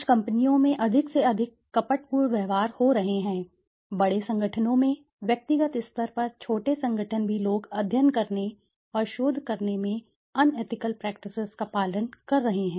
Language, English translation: Hindi, Today more and more fraudulent practices are happening from in companies, in large organizations, small organizations even on individual level people are following unethical practices in doing studies and doing researches